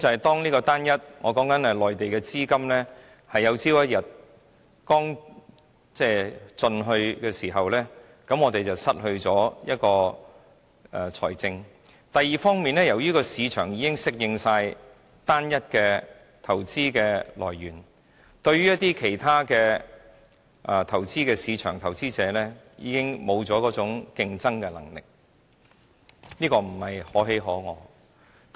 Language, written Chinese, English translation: Cantonese, 第一，當內地資金有一天用盡，我們便失去資金來源；第二，由於市場已適應單一的投資來源，對於其他的市場投資者已經失去競爭能力，這並不是可喜可賀的。, First we will lose our sole source of fund when funds from the Mainland are exhausted one day . Second we are so accustomed to a homogenous investment source that we will lose our competitiveness to investors in other markets . This is not good news to Hong Kong